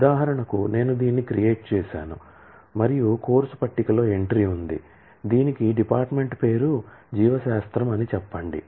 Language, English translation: Telugu, For example, I have created this and the course table has an entry, which has a department name say biology